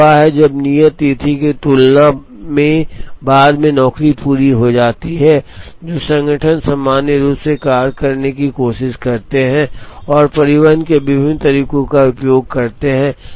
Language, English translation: Hindi, One is when the job is completed later than the due date, what organisations normally try to do is to try and use different modes of transport